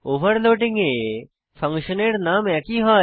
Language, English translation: Bengali, In overloading the function name is same